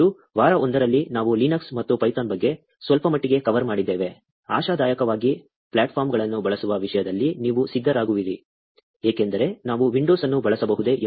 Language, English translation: Kannada, And, in the week 1, we also covered a little bit about Linux and python; hopefully, you are all set, in terms of using the platforms, because, I think, there were some questions about, ‘can we use windows